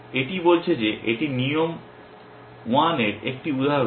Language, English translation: Bengali, This is saying that this is an instance of rule 1 which is